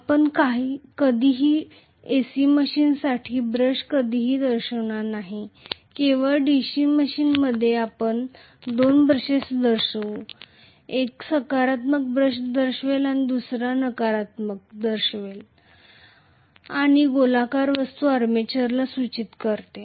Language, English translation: Marathi, You will never ever show a brush for AC machines, only for a DC machine we will show the two brushes, one will indicate the positive brush and the other one will indicate the negative brush and the circular thing indicates the armature